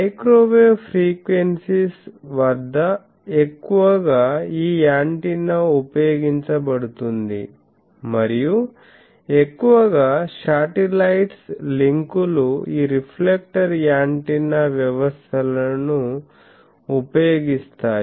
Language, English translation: Telugu, So, at microwave frequencies this is mostly used antenna and majority of satellite links use this reflector antenna systems